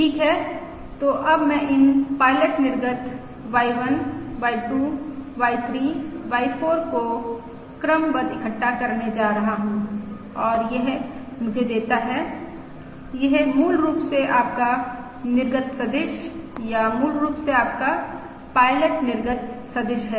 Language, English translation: Hindi, Okay, so now I am going to stack these pilot output Y1, Y2, Y3, Y4 and that gives me that basically your output vector, or basically your pilot output vector